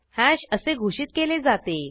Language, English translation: Marathi, This is the declaration of hash